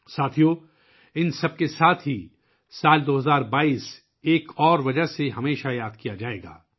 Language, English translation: Urdu, Friends, along with all this, the year 2022 will always be remembered for one more reason